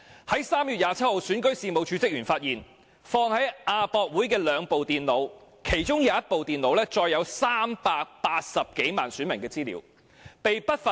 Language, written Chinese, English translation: Cantonese, 在3月27日，選舉事務處職員發現，放在亞洲國際博覽館的兩部電腦被不法分子偷走，其中一部載有380多萬名選民資料。, On 27 March Registration and Electoral Office staff discovered that two computers placed at AsiaWorld - Expo were stolen one of which containing the information of more than 3.8 million voters